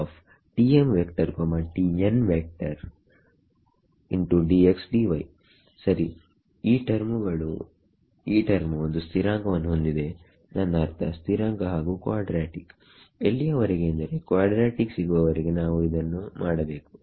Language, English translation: Kannada, Where this term has constant, I mean constant and quadratic up to quadratic is what we have to do ok